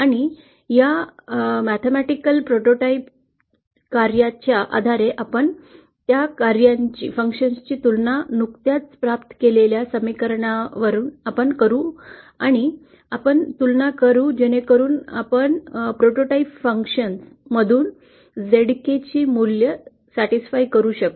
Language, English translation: Marathi, And based on these mathematical prototype functions we will be comparing those functions with our expressions that we have just derived & equating the 2 so that we can satisfy the values of the zk from the prototype function, so that is something we will cover in the next module